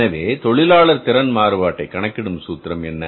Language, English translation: Tamil, So, what is the formula for calculating the labor efficiency variance